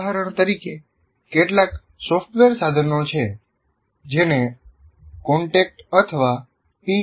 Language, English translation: Gujarati, For example, there are some software tools called contact or PKT and D